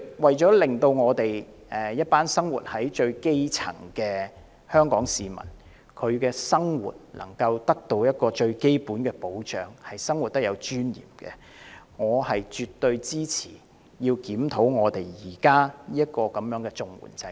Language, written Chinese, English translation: Cantonese, 為了令香港最基層的市民得到最基本的保障，得以有尊嚴地生活，我絕對支持檢討現時的綜援制度。, For the purpose of providing the grass roots of Hong Kong with the most basic protection so that they can live in dignity I fully support a review of the existing CSSA system